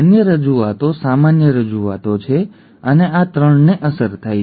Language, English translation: Gujarati, The other representations are the normal representations and these 3 are affected